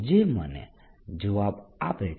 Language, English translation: Gujarati, that's the answer